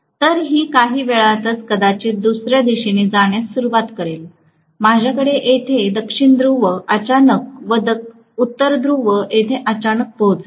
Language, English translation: Marathi, So it may start moving in some other direction, within no matter of time, I am going to have this South Pole suddenly reaching here and this North Pole suddenly reaching here